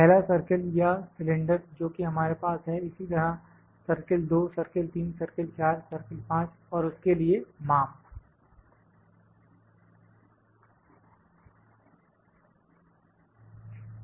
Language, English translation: Hindi, The first circle or the cylinder we that we have similarly the circle 2, circle 3, circle 4, ok, circle 5 the dimension for that